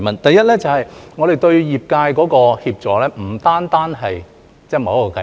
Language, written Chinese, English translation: Cantonese, 第一，我們對於業界的協助，並不限於某一項計劃。, First of all our assistance to the sectors is not limited to a particular scheme . Let us take an overall view